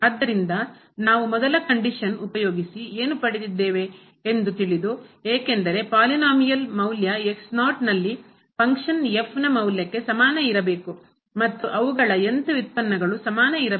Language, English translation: Kannada, So, having this what we get out of the first condition when we substitute because, our conditions is the polynomial value at must be equal to the function value at and further derivatives upto order n